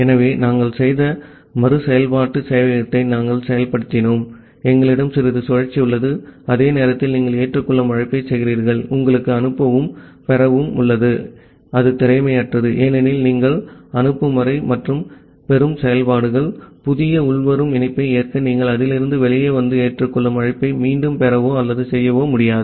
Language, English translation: Tamil, So, that was our implementation of the iterative server that we have done, we have a while loop, inside the while loop you are making a accept call then, you have the send and receive and it is inefficient because until you are complete that send and a receive functionalities, you will not be able to come out of that and get or make the accept call again to accept the new incoming connection